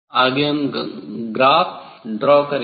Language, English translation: Hindi, Next, they will for drawing graph